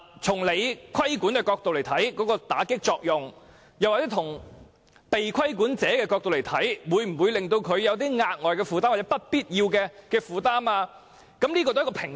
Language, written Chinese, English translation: Cantonese, 從政府規管的角度來看，法例能否起到打擊罪行的作用，而從被規管者的角度來看，法例會否令他們有額外或不必要的負擔，兩者須取得平衡。, A proper balance must be struck between whether the law can effectively combat crimes from the perspective of the Government and whether the law will impose additional or unnecessary burden from the perspective of those being regulated